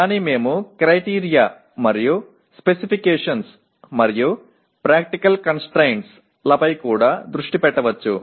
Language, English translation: Telugu, But we may also focus on Criteria and Specifications and Practical Constraints